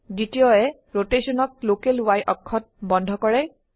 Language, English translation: Assamese, The second y locks the rotation to the local y axis